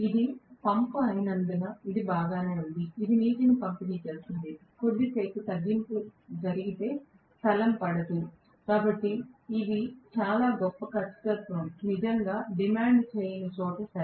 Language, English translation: Telugu, Because it is pump it is alright, it is just delivering water, for a short while if little bit of reduction happens heavens will not fall, so these are okay where very great accuracy is not really demanded right